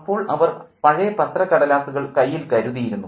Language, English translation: Malayalam, Then off they went with old newspaper in their hands